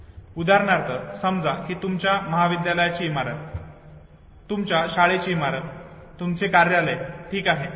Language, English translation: Marathi, Say for instance no your college building your school building your office, okay